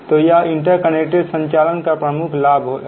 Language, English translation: Hindi, so these are the major advantage of interconnected operation